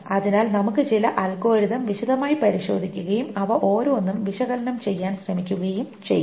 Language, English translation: Malayalam, So, we will go over some of the algorithms in detail and we'll try to analyze each one of them